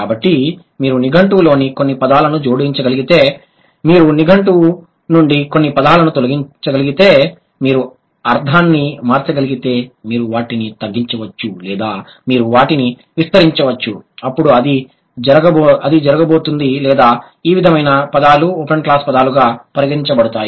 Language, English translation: Telugu, So, if you can add some words from, like in the lexicon, if you can delete some words from the lexicon, if you can delete some words from the lexicon, if you can change the meaning, you can either narrow them or you can broaden them, then it is going to be or these sort of words are considered as open class words